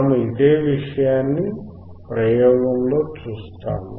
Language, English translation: Telugu, We will see this thing in the experiment